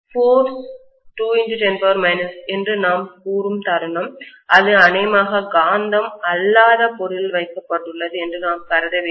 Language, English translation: Tamil, And the moment we say the force is 2 into 10 power minus 7, we have to assume that it is probably placed in a non magnetic material